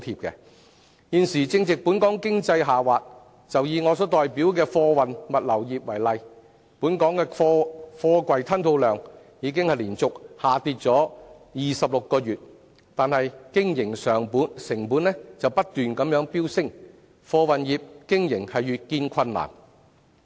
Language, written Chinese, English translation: Cantonese, 現時正值本港經濟下滑，以我代表的貨運物流業為例，本港的貨櫃吞吐量已連續26個月下跌，經營成本卻不斷飆升，貨運業的經營越見困難。, Now Hong Kong is experiencing an economic downturn . Take the freight forwarding and logistics industry which I represent as an example . The cargo throughput in Hong Kong has dropped for 26 months in a row but business costs have continuously surged making business operation in the freight forwarding industry increasingly difficult